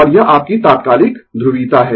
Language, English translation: Hindi, And this is your instantaneous polarity